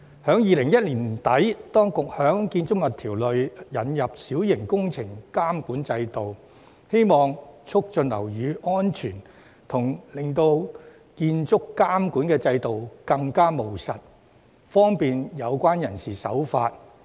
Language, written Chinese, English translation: Cantonese, 在2010年年底，當局在《建築物條例》下引入小型工程監管制度，旨在促進樓宇安全及使建築監管制度更務實，從而方便有關人士遵從。, At the end of 2010 the Minor Works Control System MWCS was introduced under the Buildings Ordinance to enhance building safety and increase the user - friendliness of the building control regime to facilitate compliance